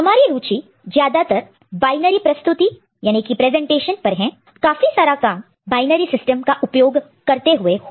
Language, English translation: Hindi, So, you are more interested in the binary presentation most of our work will be using for the binary system